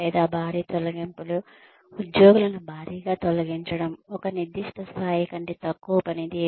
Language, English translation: Telugu, Or, bulk layoffs, bulk termination of employees, performing below a certain level